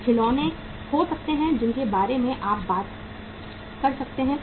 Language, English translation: Hindi, There can be some toys you talk about